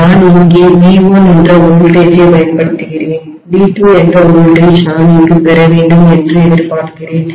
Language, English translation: Tamil, And I am applying a voltage of V1 here, I am expecting that a voltage of V2 I should get here